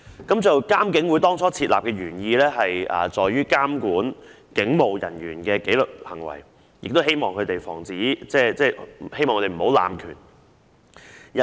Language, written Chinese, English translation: Cantonese, 當初設立監警會的原意在於監管警務人員的紀律行為，亦希望防止他們濫權。, The original intent of establishing IPCC back then was to regulate the discipline of police officers while seeking to prevent abuse of police power